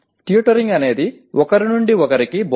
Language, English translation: Telugu, Tutoring is one to one instruction